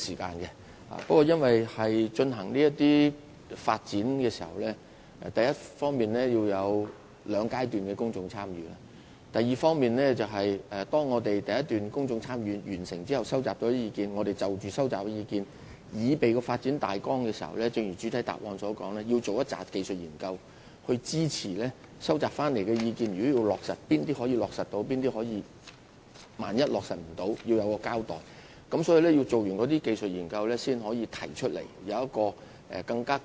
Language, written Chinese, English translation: Cantonese, 不過，在推行地下空間發展時，我們第一方面必須進行兩個階段的公眾參與；第二方面，完成了第一階段的公眾參與後，在按照收集所得的意見擬備發展大綱時，我們必須一如主體答覆所說，進行大量技術評估來支持所接獲的意見，從而決定哪些建議可以落實，並就不能落實的意見作出交代。, However when development projects are implemented in this respect we must launch two stages of public engagement on the one hand and on the other hand after completing the Stage 1 Public Engagement we must do a series of technical assessments as mentioned in the main reply on the conceptual schemes developed with due consideration of the views received so as to determine which proposals can be taken on board and give an account of those which cannot be implemented